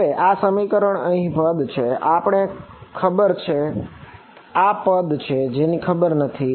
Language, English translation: Gujarati, Now, in these expressions there are terms that are known and there are terms that are not known